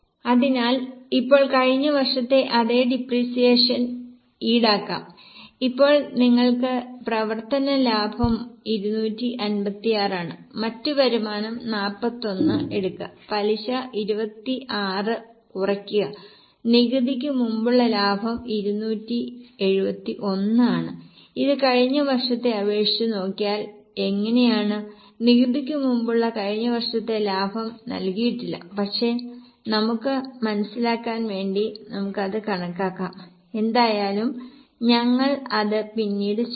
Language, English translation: Malayalam, Now you get operating profit which is 256 take other income 41 less interest 26 profit before tax is 271 how does it compare with last year okay last year's profit before tax is not given but we can just calculate it for our own sake to understand but anyway we'll do it later on